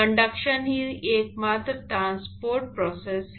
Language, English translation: Hindi, Conduction is the only transport process